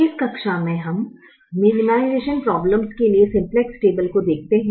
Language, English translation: Hindi, we look at the simplex table for minimization problems